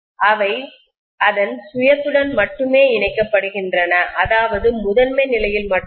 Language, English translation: Tamil, These are only linking with its own self, the primary only